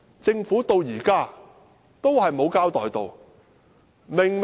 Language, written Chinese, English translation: Cantonese, 政府直到現在也沒有交代。, To date the Government has not given any explanation